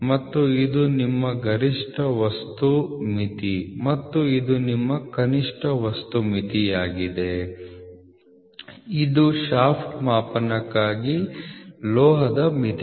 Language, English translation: Kannada, This is your maximum material limit and this is your lower material limit this is for a metal limits for shaft gauging